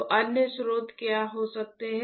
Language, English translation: Hindi, So, what can be the other sources